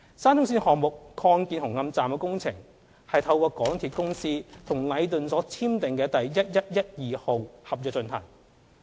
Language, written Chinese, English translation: Cantonese, 沙中線項目擴建紅磡站的工程是透過港鐵公司與禮頓建築有限公司所簽訂的第1112號合約進行。, The expansion works of Hung Hom station under the SCL project is carried out under Works Contract No . 1112 signed by MTRCL and Leighton Contractors Asia Limited Leighton